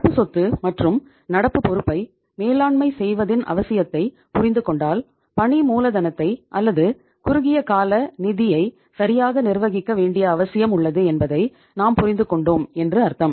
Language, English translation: Tamil, Now, once we have understood the management of current asset’s and current liability’s need it means we have understood there is a need for managing the working capital or the short term funds properly